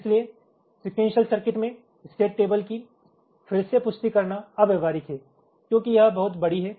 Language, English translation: Hindi, so verifying the state table of the sequential circuit, for again infeasible because extremely large